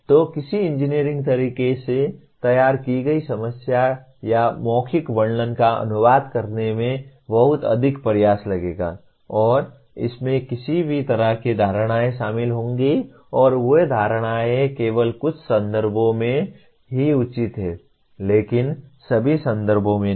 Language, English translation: Hindi, So translating a verbal description of an identified problem into formulating in an engineering way will take a tremendous amount of effort and it will involve any number of assumptions and those assumptions are justifiable only in certain context but not in all context